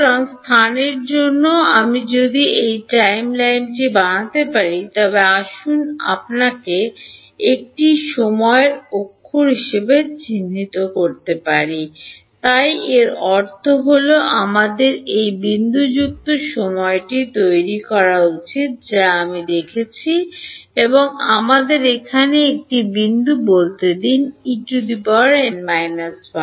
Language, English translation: Bengali, So, also for space so, if I were to make a timeline so let us make a you know time axis so this is I mean we should make it dotted time is what I am looking at and let us say one point over here is E n minus 1